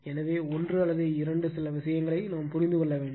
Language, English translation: Tamil, So, I just we have to understand one or two few things right